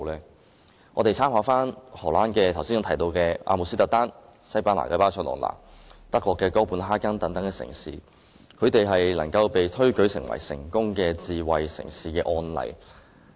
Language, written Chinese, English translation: Cantonese, 讓我們參考我剛才提到的荷蘭阿姆斯特丹、西班牙巴塞隆那、丹麥哥本哈根等城市，它們都被推舉為成功的智慧城市的示範。, Let us refer to the cities I mentioned just now namely Amsterdam in the Netherlands Barcelona in Spain Copenhagen in Denmark and so on . All these cities are known as examples of successful smart cities